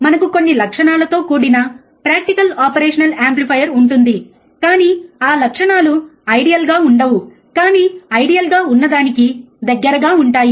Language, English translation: Telugu, But we will have a practical operation, amplifier with some characteristics which are not really ideal, but close to ideal ok